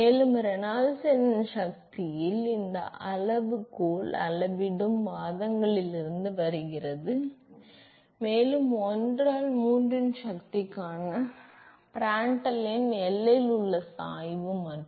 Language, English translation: Tamil, And this scale in power of Reynolds number comes from the scaling arguments, and the Prandtl number to the power of 1 by 3 comes from the gradient at the boundary and